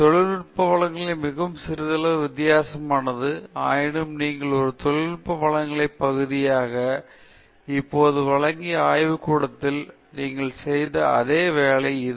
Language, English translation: Tamil, Technical presentation is quite a bit different, even though it’s pretty much the same work that you have done in the lab, which you are now presenting as part of a technical presentation